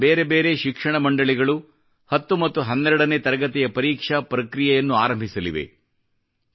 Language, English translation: Kannada, In the next few weeks various education boards across the country will initiate the process for the board examinations of the tenth and twelfth standards